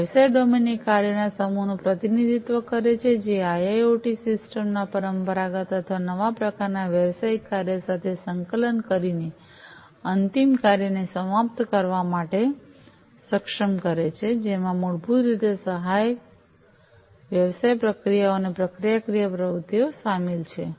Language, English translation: Gujarati, The business domain represents the set of functions which enables end to end operations of the IIoT system by integrating them with the traditional or, new type of business function, which basically includes supporting business processes and procedural activities